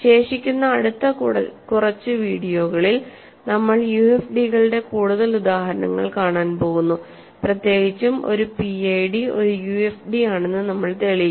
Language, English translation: Malayalam, In the remaining, next few videos we are going to look at more examples of UFDs, in particular we will prove that a PID is a UFD